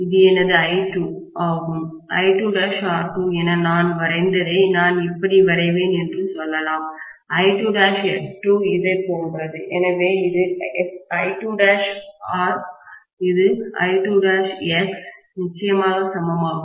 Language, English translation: Tamil, What I drew as I2 dash times R2 let’s say I draw like this, I2 dash times X2 is like this, so this is I2 dash R, this is I2 dash X, of course equivalent, okay